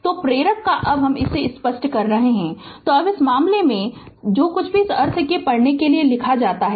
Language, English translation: Hindi, So, of the inductor now I am clearing it , so now in this case right; so something is written for you read it same meaning